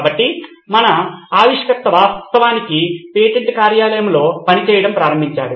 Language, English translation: Telugu, So our inventor actually started working in the patent office